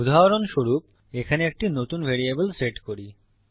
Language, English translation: Bengali, For example, lets set a new variable here